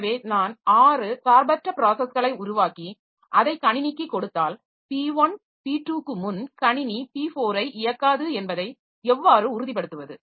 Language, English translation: Tamil, So, if I create six in different processes and give it to the system, then say how to ensure that system will not execute P4 before P1, P2